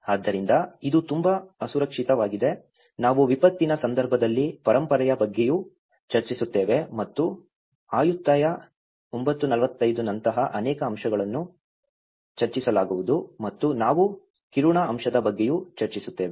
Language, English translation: Kannada, So, it has become very unsafe, you know it has to talk with the heritage and we also discuss about heritage in disaster context and many aspects like Ayutthaya 9:45 will be discussing on and we also discussed on Kiruna aspect